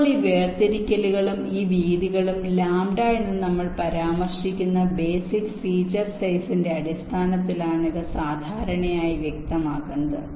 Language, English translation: Malayalam, now, these separations and these width, these are typically specified in terms of the basic feature size we refer to as lambda